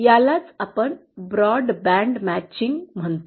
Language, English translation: Marathi, So that is what we call broadband matching